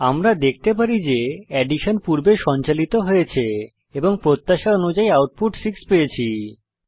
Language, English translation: Bengali, As we can see, addition has been performed first and the output is 6 as expected